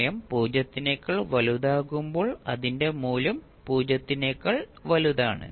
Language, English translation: Malayalam, Its value is greater than 0 when time t is greater than 0